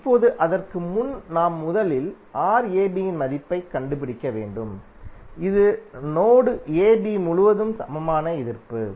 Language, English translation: Tamil, Now before that we have to first find out the value of Rab, that is equivalent resistance across terminal AB